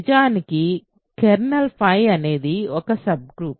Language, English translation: Telugu, In fact, kernel phi is a subgroup